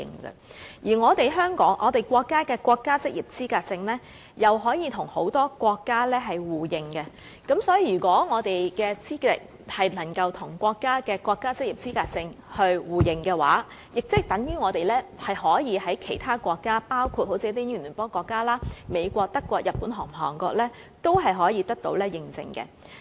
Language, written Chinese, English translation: Cantonese, 此外，由於國家職業資格證可與很多國家互認，所以，如果我們的職業資格能夠跟國家職業資格證互認的話，等於我們可以在其他國家，包括英聯邦國家、美國、德國、日本及韓國等地得到認證。, Since the Mainland has reached agreements with a number of overseas countries on the mutual recognition of NOQC our trade certificates could also be recognized overseas in the Commonwealth countries the United States Germany Japan and Korea if the qualifications under QF could be mutually recognized with NOQC